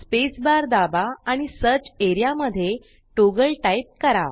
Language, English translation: Marathi, Press space bar and type Toggle in the search area